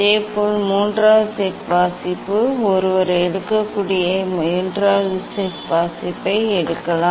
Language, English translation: Tamil, Similarly, third set of reading one can take third set of reading one can take